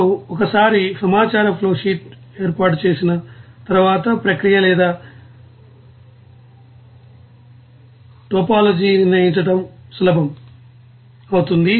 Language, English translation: Telugu, Now once the information flowsheet is set up then the determination of the process or topology will be easy